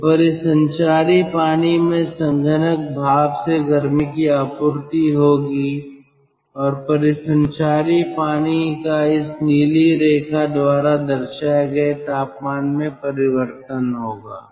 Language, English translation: Hindi, so, ah, the circulating water will have supply of heat from the condensing steam, and the circulating water will have a change in temperature depicted by this blue line